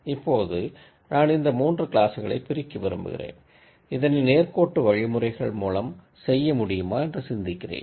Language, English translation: Tamil, Now if I want to separate these 3 classes and then ask myself if I can separate this to through linear methods